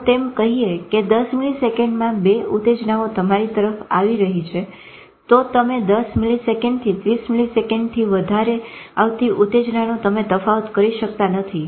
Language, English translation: Gujarati, If say two stimulus are coming within 10 milliseconds to you, you cannot differentiate between the stimulus